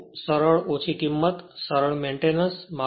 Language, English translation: Gujarati, They are simple low price, easy to maintain